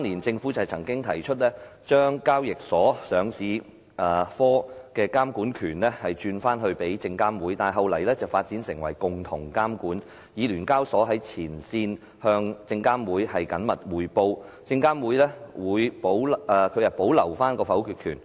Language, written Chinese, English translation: Cantonese, 政府曾在2003年建議把交易所上市科的監管權轉回證監會，但後來發展成為共同監管，以聯交所在前線向證監會緊密匯報，證監會保留否決權。, The Government had once suggested in 2003 that the regulatory power of the Listing Division of SEHK be delegated to SFC but later a joint regulatory framework was devised . SEHK would report frontline activities to SFC and SFC would retain its power of veto . However SEHK is a profit - making body which does listing businesses and hence achieves results